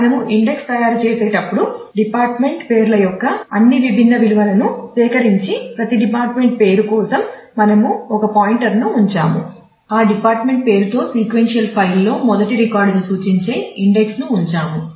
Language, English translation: Telugu, So, when we make the index we made the index collect all the distinct values of the department names and for every department name we put a pointer we put the index marking the first record in the sequential file with that department name